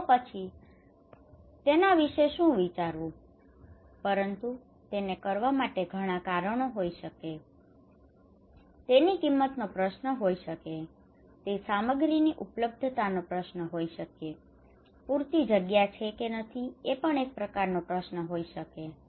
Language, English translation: Gujarati, Can I do it, it could be many reasons can I do it could be many reasons this could be question of cost, it could be question of that availability of the materials, it could be kind of question of like I have enough space or not right